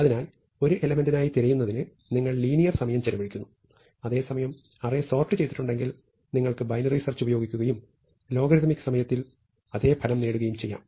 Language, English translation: Malayalam, So, you spend linear time searching for the element, whereas if you had sorted array, you can probe it at the midpoint and use binary search and achieve the same result in logarithmic time, and logarithmic time is considerably faster than linear time